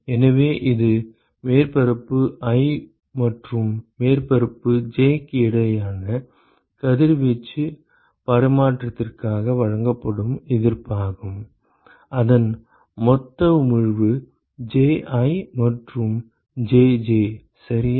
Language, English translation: Tamil, So, that is the resistance which is offered for radiation exchange between surface i and surface j whose total emission are Ji and Jj ok